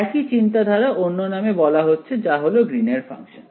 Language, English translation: Bengali, Same idea is being called by a different name is called Green’s function